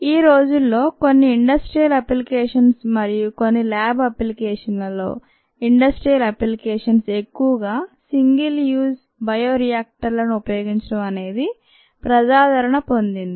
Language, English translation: Telugu, what is become popular now a days in some industrial applications and also in some lab applications, more so in industrial applications, is the use of single use bioreactors: use it, throw out